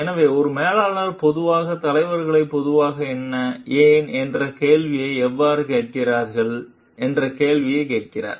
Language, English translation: Tamil, So, a manager generally asks the question how, a leaders generally ask the question what and why